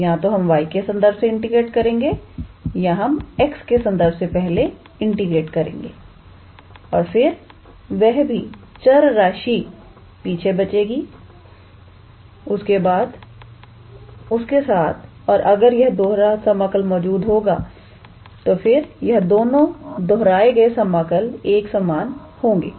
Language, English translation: Hindi, So, either we integrate with respect to y or we integrate with respect to x first and then we integrate whatever the variable is left afterwards and if the double integral exists then these two repeated integral would also be same